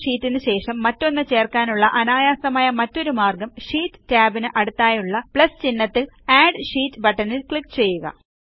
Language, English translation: Malayalam, Another simple way of inserting a sheet after the current sheet is by clicking on the Add Sheet button, denoted by a plus sign, next to the sheet tab